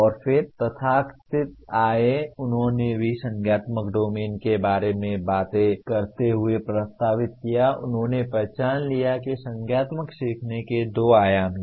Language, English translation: Hindi, And then came the so called, they proposed also while talking about the cognitive domain, they identified that there are two dimensions to cognitive learning